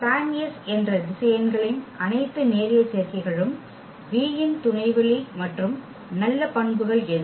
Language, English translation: Tamil, All the linear combinations of the vectors that is the span S, is a subspace of V and what is the nice property